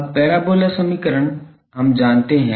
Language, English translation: Hindi, Now, parabola equation we know